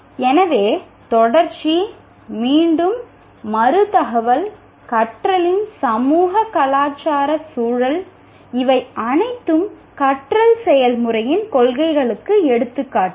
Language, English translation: Tamil, So, contiguity, repetition, reinforcement, socio cultural context of learning, these are all the examples of principles of learning process